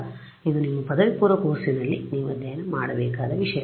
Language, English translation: Kannada, So, this is something which is you should have studied in your undergraduate course